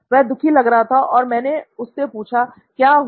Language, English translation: Hindi, He looked sad and I said, so what’s up